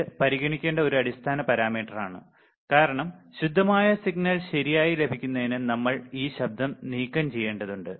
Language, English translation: Malayalam, It is a fundamental parameter to be considered, because we have to remove this noise to obtain the pure signal right